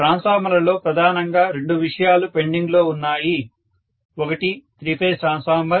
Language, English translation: Telugu, two topics are mainly pending in transformers now, one is three phase transformer